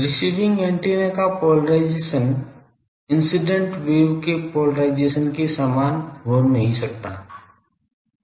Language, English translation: Hindi, The polarisation of the receiving antenna may not be the same as the polarisation of the incident wave